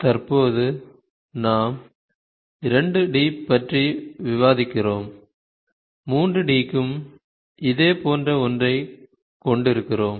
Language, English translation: Tamil, So, currently we are discussing 2 D, we also have a similar one for 3 D